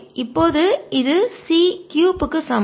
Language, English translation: Tamil, so this is equal to this